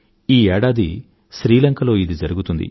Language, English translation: Telugu, This year it will take place in Sri Lanka